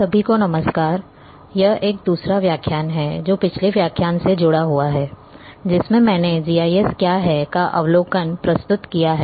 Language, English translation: Hindi, Hello everyone, this is a second lecture, which is in continuation of a previous lecture in which we I have introduced an overview of what is GIS